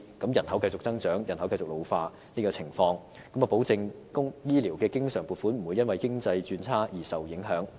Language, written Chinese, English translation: Cantonese, 即使人口繼續增長，人口繼續老化，這做法可保證醫療經常撥款不會因為經濟轉差而受影響。, Despite continual population growth and ageing this can guarantee that the recurrent health care funding is not affected by the economy sliding into recession